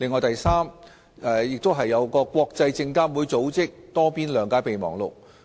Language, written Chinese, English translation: Cantonese, 第三，當中亦包括國際證券事務監察委員會組織的《多邊諒解備忘錄》。, Third the Multilateral Memorandum of Understanding of the International Organization of Securities Commissions is also included